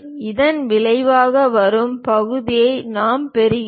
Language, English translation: Tamil, This is the way we get resulting section